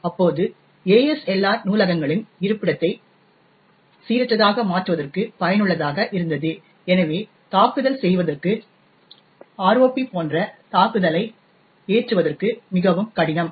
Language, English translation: Tamil, Now ASLR was useful to actually randomise the location of libraries, therefore making attack such as the ROP attack more difficult to actually mount